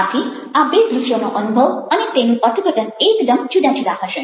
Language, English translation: Gujarati, so the interpretation, the experience of the two visuals should be very, very different